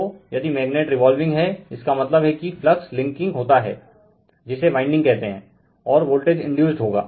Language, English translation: Hindi, So, as it is if it magnet is revolving that means, flux linking here this your what we call this your what we call this winding, so voltage will be induced right